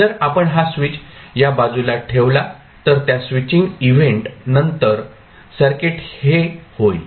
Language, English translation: Marathi, So, if you put this switch to this side then after that switching event the circuit will become this